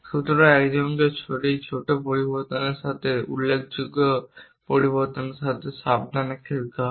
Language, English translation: Bengali, So, one has to carefully play with this small variation to large variation